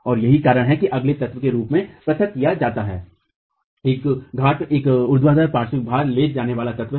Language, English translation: Hindi, And the reason why it is isolated as a different element is a pier is a vertical lateral load carrying element